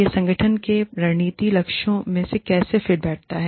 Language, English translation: Hindi, How does this fit, into the strategic goals of the organization